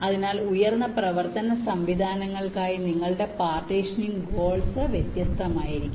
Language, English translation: Malayalam, so for high performance systems, your partitioning goals can be different